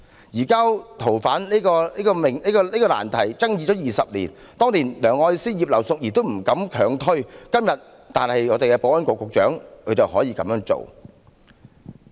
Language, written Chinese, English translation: Cantonese, 移交逃犯的難題爭議20年，當年梁愛詩和前保安局局長葉劉淑儀議員也不敢強推，但今天的保安局局長卻膽敢這樣做。, This issue of the surrender of fugitive offenders has been debated for 20 years but neither Elsie LEUNG nor former Secretary for Security Regina IP dared to force the law through back then . Today however the Secretary for Security dares to make this move